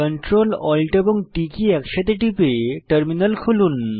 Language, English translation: Bengali, Open a terminal by pressing the Ctrl, Alt and T keys simultaneously